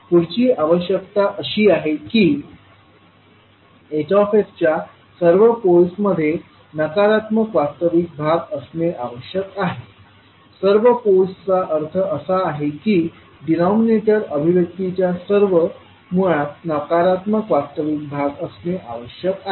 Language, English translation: Marathi, Next requirement is that all poles of Hs must have negative real parts, all poles means, all roots of the denominator expression must have negative real part